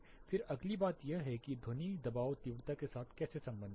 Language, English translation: Hindi, Then the next thing is how sound pressure relates with the intensity